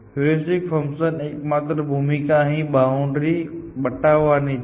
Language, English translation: Gujarati, The only role the heuristic function is playing is in defining this boundary here